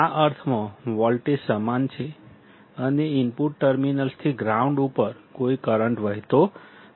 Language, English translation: Gujarati, In the sense that the voltages are same and no current flows from the input terminals to the ground